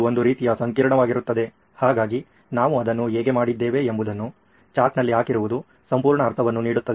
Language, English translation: Kannada, It sort of becomes very complex, so laying it out on a chart like how we did it makes complete sense